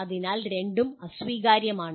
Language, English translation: Malayalam, So both are unacceptable